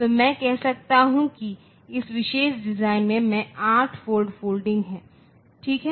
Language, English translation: Hindi, So, I can say in this particular design there is one 8 fold folding ok